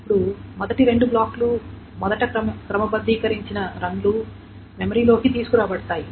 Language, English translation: Telugu, So the first two blocks first two sorted runs will be brought into memory